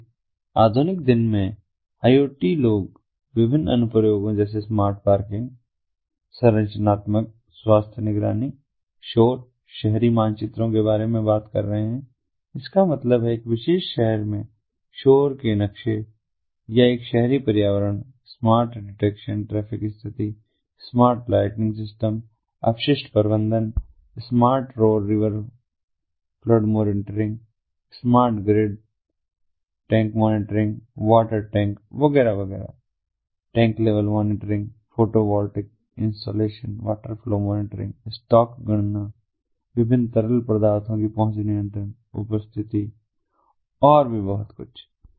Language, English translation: Hindi, so in the modern day iot people are talking about different applications such as smart parking, structural health monitoring, noise, urban maps that means noise maps in a particular city or an urban environment smartphone detection, traffic condition, smart lighting systems, waste management, smart roads, river flood monitoring, smart grid tank monitoring, water tanks, etcetera, tank level monitoring, photovoltaic ah installations, water flow monitoring, stock calculations, access control, presence of different liquids, hazardous materials, and so on and so forth